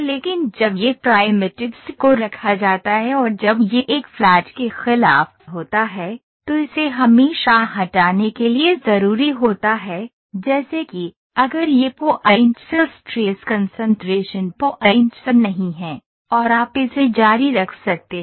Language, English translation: Hindi, But when these primitives are placed and when this buts against a flat one it is always necessary to have a filleting done, such that, if these points are not the stress concentration points, and you can keep continuing this